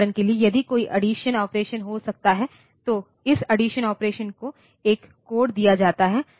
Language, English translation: Hindi, For example, if there may be an addition operation this addition operation is given a code